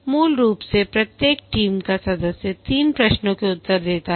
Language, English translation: Hindi, Basically, each team member answers three questions